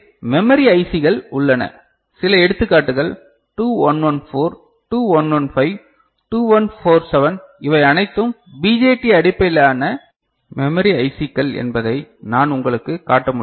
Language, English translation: Tamil, So, we have memory IC s so, some examples I can show you that 2114, 2115, 2147 these are all BJT based memory ICs right